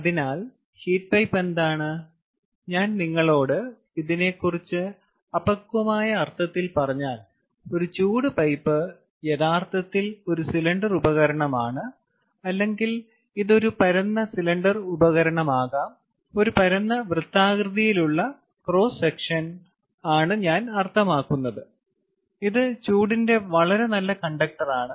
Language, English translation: Malayalam, ah, if i tell you in a very crude sense, a heat pipe is actually a cylindrical device, or it can be a flattened cylindrical device, also a flattened circular cross section, i mean, which is an extremely good conductor of heat